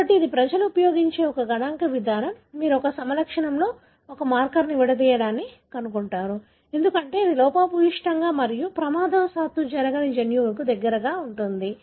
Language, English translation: Telugu, So, this is a statistical approach people use that you find a marker co segregating with a phenotype, because it is present in close proximity to a gene that is defective and is not happening by chance